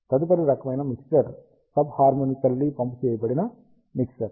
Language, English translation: Telugu, Next kind of mixture, we will see is a sub harmonically pumped mixer